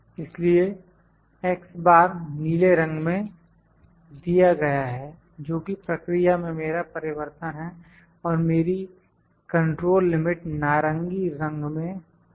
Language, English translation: Hindi, So, X bar is given in blue colour which is my variation in the process and my control limit is in orange colour